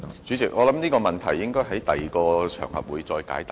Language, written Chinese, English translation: Cantonese, 主席，我相信這問題應在其他場合解答。, President I believe the question should be answered on another occasion